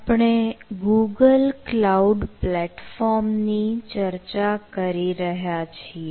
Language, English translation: Gujarati, so you want to host it on google cloud platform